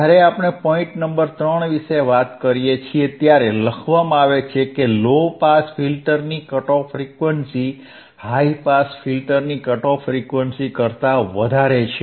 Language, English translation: Gujarati, So, the cut off frequency point number 3 let us see, the cut off frequency or corner frequency of the low pass filter is higher than the cut off frequency then the cut off frequency of the high pass filter, alright